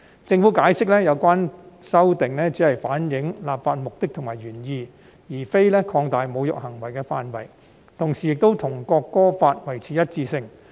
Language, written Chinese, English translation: Cantonese, 政府解釋，有關修訂只是反映立法目的和原意，而非擴大侮辱行為的範圍，同時亦與《國歌條例》維持一致。, The Government explained that this amendment only seeks to better reflect the legislative purpose and intent but not to expand the scope of desecrating acts . And such provisions are consistent with those in the National Anthem Ordinance